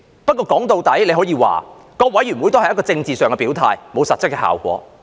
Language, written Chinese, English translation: Cantonese, 歸根究底，大家可以說各委員會也只是一個政治上的表態，並無實質效果。, In the final analysis we can say that the committees are only for making a political statement but have no actual effect